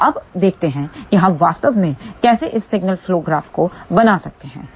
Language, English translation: Hindi, So, now, let us see how we can actually speaking built this signal flow graph